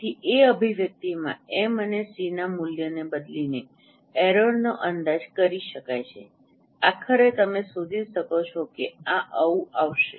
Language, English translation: Gujarati, So, error can be estimated by replacing the value of m and c in that expression